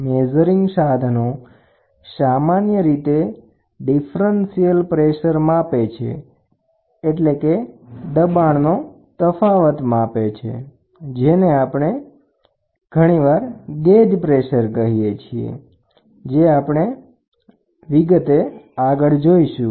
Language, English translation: Gujarati, Measuring devices usually resist a differential pressure, for example, gauge pressure we will see what is gauge pressure later